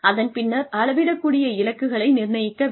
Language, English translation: Tamil, Then, assign measurable goals